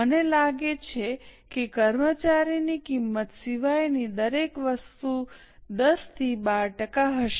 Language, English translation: Gujarati, I think everything other than employee cost will be 10 to 12 percent